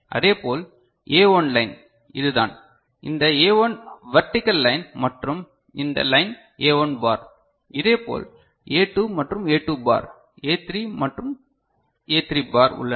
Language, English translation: Tamil, Similarly A1 line is this one you can see this line is A1 the vertical line and this line is A1 bar; similarly A2 and A 2 bar, A3 and A3 bar are there ok